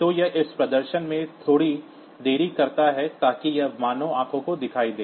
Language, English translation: Hindi, So, this puts a small delay into this display, so that it is visible to the human eye